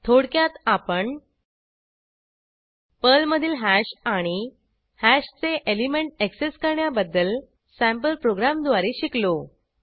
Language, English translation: Marathi, In this tutorial, we learnt Hash in Perl and Accessing elements of a hash using sample programs